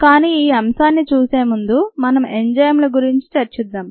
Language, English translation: Telugu, but before we look at that, let us look at enzymes themselves